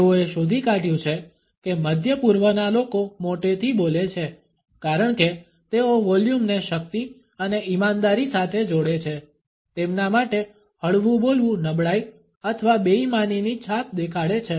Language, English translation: Gujarati, They have found that middle easterners speak loudly because they associate volume with strength and sincerity, speaking softly for them would convey an impression of weakness or in sincerity